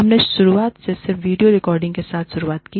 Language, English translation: Hindi, We initially started with, just video recording